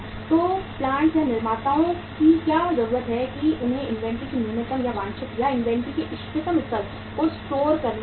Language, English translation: Hindi, So what is the need of the plants or the manufacturers that they have to store the inventory the minimum or the desired or the optimum level of inventory they will have to store